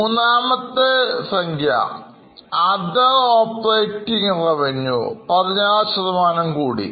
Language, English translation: Malayalam, So, here the third figure that is other operating revenue has increased by 16%